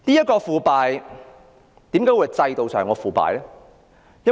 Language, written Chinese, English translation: Cantonese, 為何這是制度上的腐敗？, Why does this project involve institutional corruption?